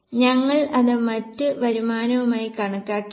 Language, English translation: Malayalam, We have also not considered other income